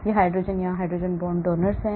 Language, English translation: Hindi, This hydrogen here it is hydrogen bond donor here